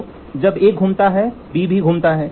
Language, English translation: Hindi, So, when A rotates B also rotates